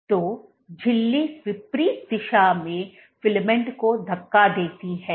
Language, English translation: Hindi, So, membrane pushes the filament in opposite direction